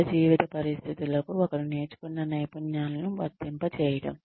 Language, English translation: Telugu, Being able to apply the skills, that one has learnt to real life situations